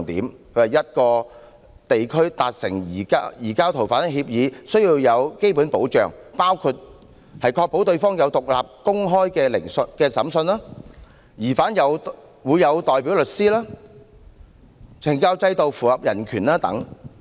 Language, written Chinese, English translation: Cantonese, 他認為要和一個地區達成移交逃犯協議，需要有"基本保障"，包括確保對方有獨立公開的審訊、疑犯會有代表律師、懲教制度符合人權等。, He said that to conclude an agreement on the surrender of fugitive offenders with another region the latter must offer basic standards of protection which include the guarantee of independent and open trials representation of suspects by lawyers conformity of the penal system with human rights and so on